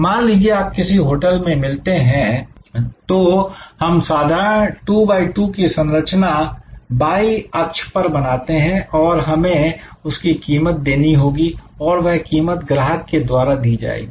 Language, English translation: Hindi, That, if you are supposed meet in a new hotel, then we will create the simple 2 by 2 structure say on y axis we have cost to be paid, price to be paid by the customer